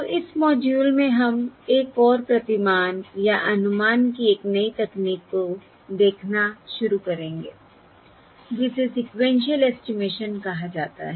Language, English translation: Hindi, So in this module we will start looking at another paradigm or a new technique of estimation, which is termed as Sequential Estimation